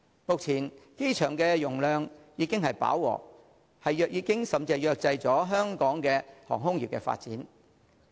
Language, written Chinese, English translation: Cantonese, 目前機場容量已經飽和，甚至已制約香港航空業的發展。, At present HKIA is already operating to capacity and this has restricted the development of Hong Kongs aviation industry